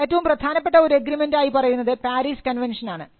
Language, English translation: Malayalam, Now, the most important agreement is what we call the PARIS convention